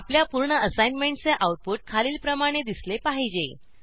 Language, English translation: Marathi, Your completed assignment should look as follows